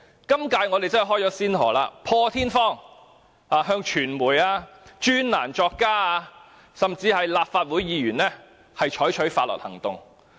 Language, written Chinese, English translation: Cantonese, 今屆政府真是開了先河，破天荒向傳媒、專欄作家甚至立法會議員採取法律行動。, The present Government has really set a precedent; it is the first time that it has taken legal actions against the media columnists and even Legislative Council Members